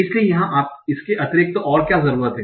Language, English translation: Hindi, So this is what is additionally needed here